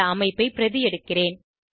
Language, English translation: Tamil, I will make a copy of this structure